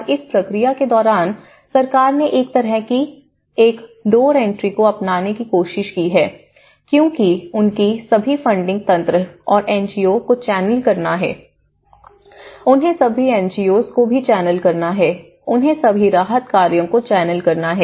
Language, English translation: Hindi, And during this process, the government have tried to adopt a kind of single door entry, sort of thing because they have to channel all the funding mechanism, they have to channel all the NGOs, they have to channel all the relief operations